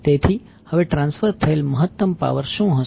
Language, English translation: Gujarati, So, now what would be the maximum power to be transferred